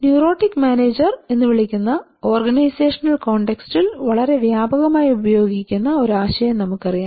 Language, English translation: Malayalam, You know a very widely applicable in organizational contest called the neurotic manager